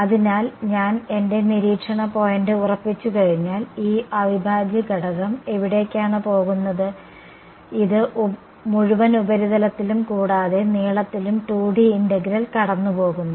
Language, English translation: Malayalam, So, if I fix my observation point where is this integral going; it is going over the entire surface and length 2D integral fine